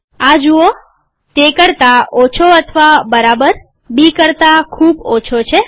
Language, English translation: Gujarati, See this, less than or equal to, much less than B